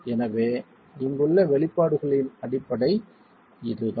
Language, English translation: Tamil, So, that's the basis of the expressions here